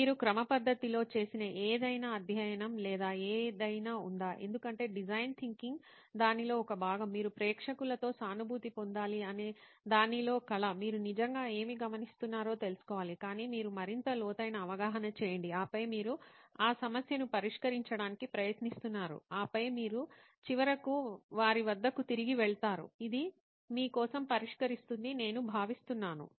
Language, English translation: Telugu, Is there any study or anything that you guys did systematically so because design thinking is one part of it is art in the sense that you have to empathize with the audience, you have to really get to know what you are observing but you are going a level deeper and then you are trying to solve that issue and then you are finally going back to them this is what I think will solve it for you